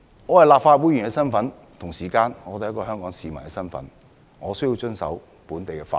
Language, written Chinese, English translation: Cantonese, 我是立法會議員，同時亦是一名香港市民，必須遵守本地法律。, I am a Legislative Council Member and at the same time I am also a member of the public and I must abide by local laws